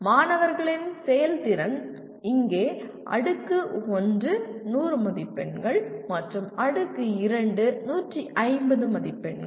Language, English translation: Tamil, Students’ performance, here Tier 1 100 marks and Tier 2 150 marks